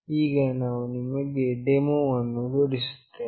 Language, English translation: Kannada, Now, we will be showing you the demonstration